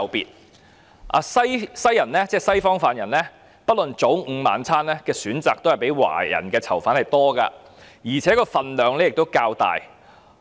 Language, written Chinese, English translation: Cantonese, 本身是西方人士的犯人不論早、午、晚餐的選擇也較華人囚犯多，而且份量也較大。, Prisoners who are Westerners have more choices than Chinese prisoners whether for breakfast lunch or dinner and Westerners can also have larger rations of food